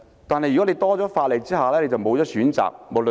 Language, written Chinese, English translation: Cantonese, 但是，如果增加法例，便會欠缺選擇。, However if legislation is strengthened there will be a lack of choice